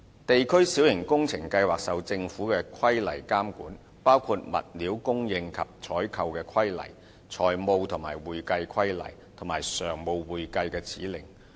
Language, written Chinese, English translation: Cantonese, 地區小型工程計劃受到政府的規例監管，包括《物料供應及採購規例》、《財務及會計規例》和《常務會計指令》。, The district minor works programme is subject to government regulations including the Stores and Procurement Regulations the Financial and Accounting Regulations and the Standing Accounting Instructions